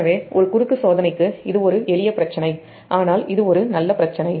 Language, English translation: Tamil, so for a cross check, this is a simple problem, but it is a good problem